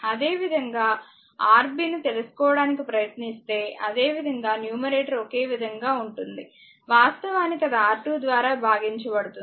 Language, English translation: Telugu, Similarly, if you try to find out your what you call Rb, similarly numerator is common the actually whatever it will come divided by your R 2